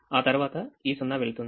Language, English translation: Telugu, this zero will become one